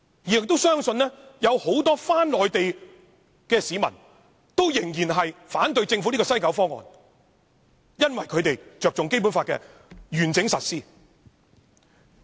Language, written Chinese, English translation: Cantonese, 我們也相信，不少往內地的市民仍會反對政府推出的西九"一地兩檢"方案，因為他們着重《基本法》的完整實施。, We also believe that many people who will go to the Mainland also oppose the Governments West Kowloon Station proposal because they are concerned about the integrity of the Basic Law